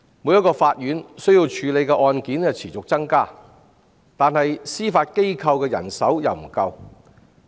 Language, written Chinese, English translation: Cantonese, 每所法院需要處理的案件持續增加，司法機構的人手卻不足。, While the caseload of all courts is on the rise the Judiciary is short - handed